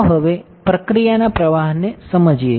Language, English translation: Gujarati, So, let us understand now the process flow